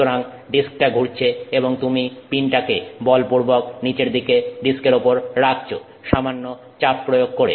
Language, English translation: Bengali, So, the disk is rotating and you force the pin down on that disk with some pressure